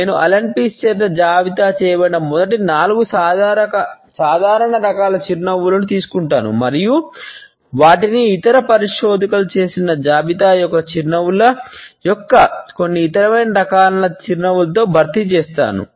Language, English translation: Telugu, I would take up the first 4 common types of a smiles listed by Allan Pease and supplement them with some other commonly found types of a smiles which I have been listed by other researchers